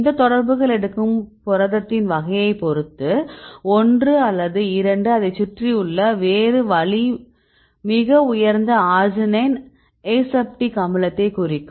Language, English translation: Tamil, Also its does not depend on the type of the protein where take one or two even if you take the other way around that is also very high arginine aseptic acid